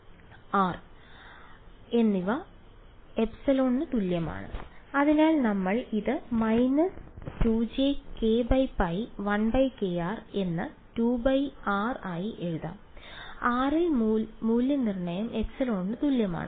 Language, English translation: Malayalam, r and r is equal to epsilon right so we will just write this as minus 2 j k by pi into 1 by k r into 2 pi r evaluated at r is equal to epsilon